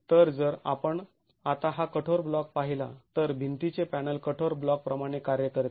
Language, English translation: Marathi, So, if you were to look at this rigid block now, the wall panel acts like a rigid block